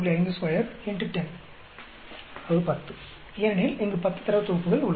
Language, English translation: Tamil, 5 square into 10, because there are 10 data sets here